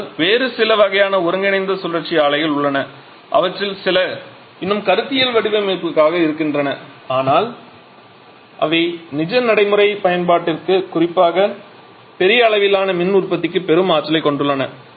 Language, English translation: Tamil, But there are a few other kinds of combined cycle plants which are also possible some of them are still conceptual design but they have huge potential for real life practical application particularly for large scale power generation